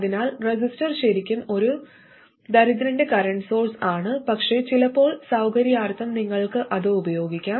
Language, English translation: Malayalam, So a resistor is really a poor man's current source but sometimes just for the sake of convenience you can use that